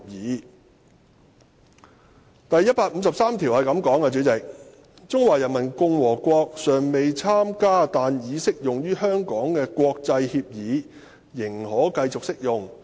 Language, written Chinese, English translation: Cantonese, 代理主席，第一百五十三條則訂明："中華人民共和國尚未參加但已適用於香港的國際協議仍可繼續適用。, Deputy President Article 153 stipulates that international agreements to which Peoples Republic of China is not a party but which are implemented in Hong Kong may continue to be implemented in HKSAR